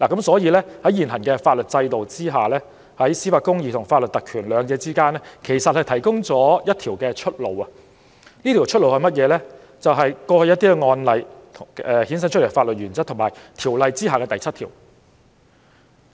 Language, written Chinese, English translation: Cantonese, 所以，在現行法律制度下，在司法公義與法律特權之間提供了一條出路，就是過去一些案例衍生出來的法律原則及《條例》第7條。, Therefore under the current legal system there is a way - out between judicial justice and legal privileges ie . the legal principles derived from some past cases and section 7 of the Ordinance